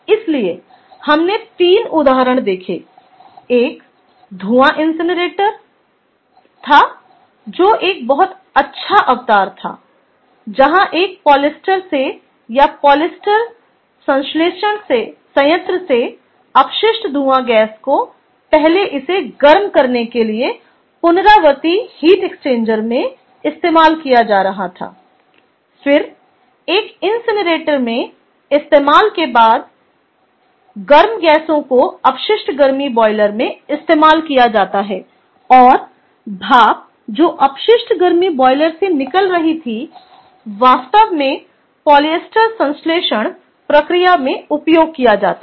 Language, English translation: Hindi, one was for a fume incinerator, which was kind of a very nice ah embodiment of where the waste fume gas from a polyester ah um in the ah or or from the polyester synthesis plant was being used first in a recuperative heat exchanger to heat it up and then being used in an incinerator, and the hot gases then used in a waste heat boiler